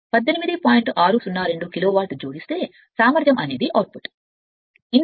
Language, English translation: Telugu, 602 kilo watt therefore efficiency output by input